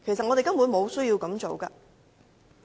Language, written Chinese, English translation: Cantonese, 我們根本沒有需要這樣做。, There should be basically no need for us to do so